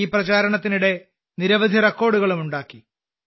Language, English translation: Malayalam, Many records were also made during this campaign